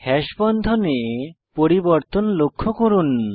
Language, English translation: Bengali, Observe the changes in the Hash bond